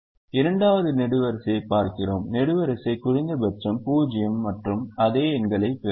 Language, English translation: Tamil, we look at the second column: the column minimum is zero and we will get the same numbers